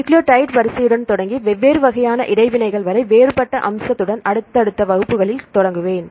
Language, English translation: Tamil, In the next classes I will start with a different aspect starting with nucleotide sequence to up to these different types of interactions